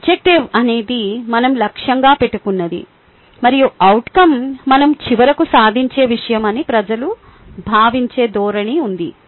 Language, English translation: Telugu, there is a tendency that people think objective is something that we aim and outcome is something that we finally achieve